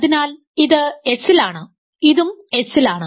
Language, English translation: Malayalam, So, that is also in S